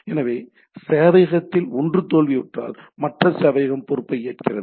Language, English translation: Tamil, So, if the one of the server fails the other server takes up the responsibility